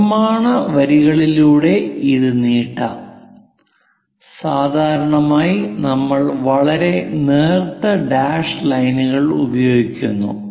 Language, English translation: Malayalam, Let us extend this one by construction lines, we usually we go with very thin dashed lines